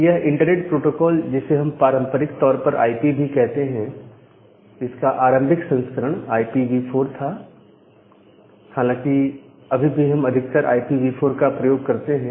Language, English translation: Hindi, So, this internet protocol or the IP traditionally or the initial version of IP was IP version 4, and now it is also most of the time we use IPv4